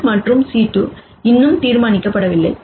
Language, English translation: Tamil, The c 1 and c 2 are yet to be determined